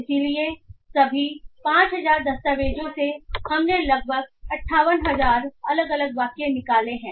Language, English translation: Hindi, So, from all the 5,000 documents we have extracted about 58,000 different sentences